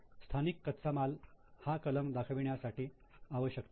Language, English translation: Marathi, Indigenous raw material, actually this is not an item to be shown